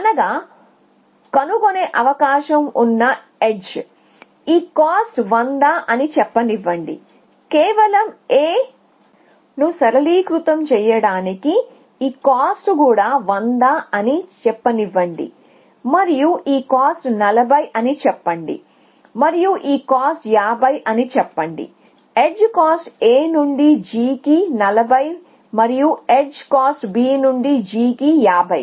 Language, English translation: Telugu, So, that is the edge that they are just likely to explode let us say that this cost is 100 just to simplify a maters let say this cost is also 100 and let us say that this cost is 40 and this cost is 50 that is the edge cost A G is the cost of edge A G is 40 and the cost of edge B G is 50